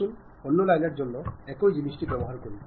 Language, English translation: Bengali, Let us use the same thing for other line